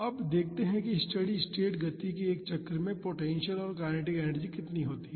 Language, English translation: Hindi, Now, let us see how much is the potential and kinetic energy in one cycle of the steady state motion